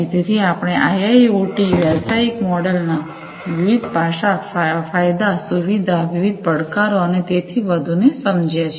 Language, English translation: Gujarati, So, we have understood the different aspects of IIoT business models, the advantages, the features, the advantages, the different challenges, and so on